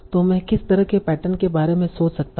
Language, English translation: Hindi, So we'll think about what are the patterns